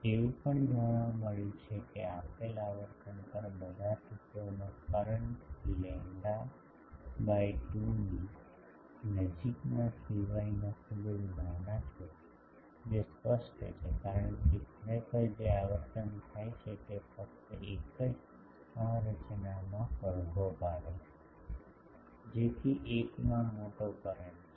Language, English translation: Gujarati, It has also been found that at a given frequency the currents in all elements, except those that are close to lambda by two long are very small that is obvious, because actually what is happening at a particular frequency only one structure is resonating, so that one is having sizable current